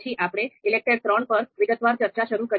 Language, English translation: Gujarati, Then we started our discussion on ELECTRE ELECTRE III in more detail